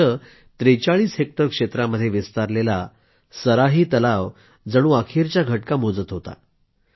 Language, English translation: Marathi, Here, the Saraahi Lake, spread across 43 hectares was on the verge of breathing its last